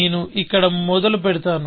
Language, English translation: Telugu, Let me start here